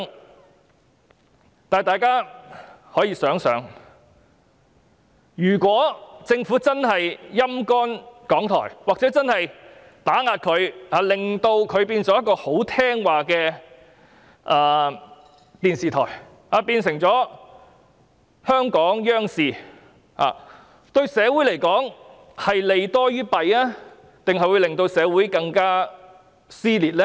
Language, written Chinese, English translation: Cantonese, 不過，大家可以想想，如果政府"陰乾"或打壓港台，以致港台變成言聽計從的電視台，變成香港央視，這對社會而言是利多於弊，還是會加劇社會撕裂呢？, But Members can come to think about this . If the Government dries up or suppresses RTHK with the result that RTHK turns into a subservient television broadcaster or a television broadcaster of the Central Authorities in Hong Kong will this do more good than harm to the community? . Or will this intensify social dissention instead?